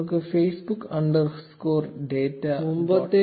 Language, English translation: Malayalam, Let us say facebook underscore data dot py